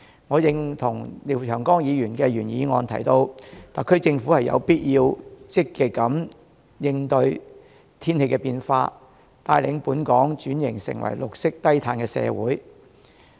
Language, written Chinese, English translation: Cantonese, 我認同廖長江議員的原議案提到，特區政府有必要積極應對天氣變化，帶領本港轉型成為綠色低碳社會。, I agree to the proposal in Mr Martin LIAOs original motion which urges the SAR Government to cope with climate change proactively and lead the public to transform Hong Kong into a green and low - carbon society